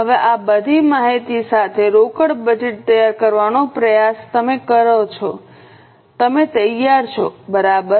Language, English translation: Gujarati, Now with this much of information, try to prepare a cash budget